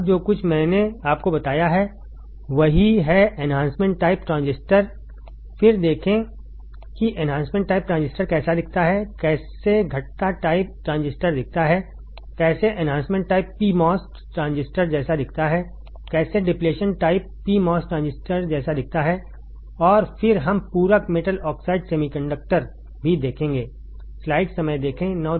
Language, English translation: Hindi, Now, whatever I have told you earlier is same thing, enhancement type transistors then see how the enhancement type transistors looks like, how the depletion type transistors look like, how the enhancement type p mos transistor looks like, how the depletion type p mos transistor looks like and then we will also see the complementary metal oxide semiconductor